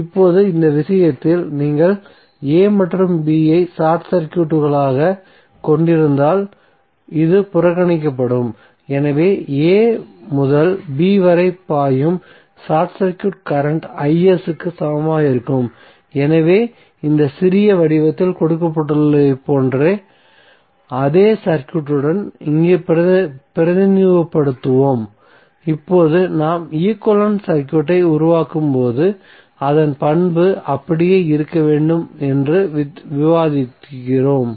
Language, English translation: Tamil, Suppose if it is Isc so what would be the value of Isc, Isc would be simply, Vs by R now in this case if you are short circuiting a and b what will happen, this will be in that case neglected so the current flowing short circuit current flowing from a to b would be c us equal to Is so here we will represent with the same circuit like is given in small form so now, as we discuss that when we are creating the equivalent circuit its property should remain same